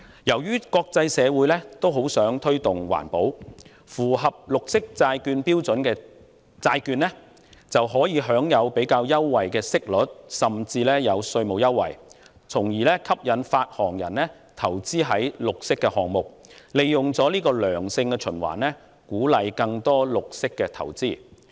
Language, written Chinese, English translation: Cantonese, 由於國際社會也很想推動環保，因此符合綠色債券標準的債券可享有較優惠的息率，甚至稅務優惠，以吸引發行人投資於綠色項目上，這樣便會形成一個良性循環，有助鼓勵更多綠色投資。, Given that the international community also wants to promote environmental protection bonds which meet the standards for green bonds can enjoy preferential interest rates and even tax concessions . This way issuers are attracted to invest in green projects thus forming a benign cycle which will encourage more green investments